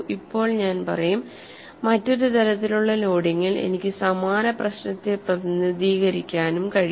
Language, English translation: Malayalam, I can also represent the same problem with a different type of loading